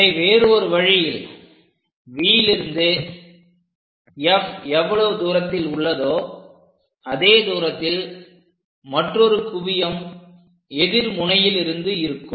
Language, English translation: Tamil, The other way is from V whatever the distance of F we have same another focus we are going to have it at this point